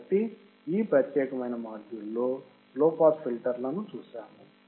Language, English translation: Telugu, So, in this particular module, we have seen low pass filter